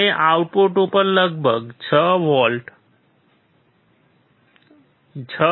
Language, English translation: Gujarati, We see about 6 volts 6